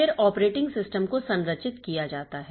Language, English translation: Hindi, Then the operating system is structured